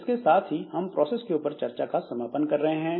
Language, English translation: Hindi, So with this we come to a conclusion of this discussion on process